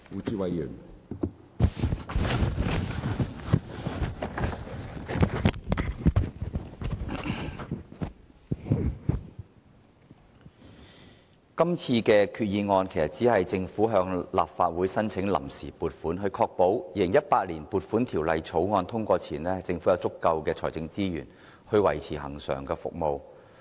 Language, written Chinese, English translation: Cantonese, 主席，就這項決議案，政府其實只是向立法會申請臨時撥款，以確保在《2018年撥款條例草案》通過前，政府能有足夠的財政資源維持其恆常服務。, President regarding this resolution the Government aims at seeking the Legislative Councils approval of funds on account to ensure it has sufficient financial resources to maintain its ongoing services before the passage of the Appropriation Bill 2018